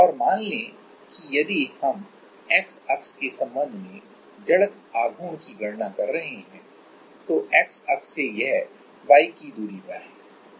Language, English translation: Hindi, And let say if we are calculating the moment of inertia with respect to the X axis then from X axis it is at a distance of y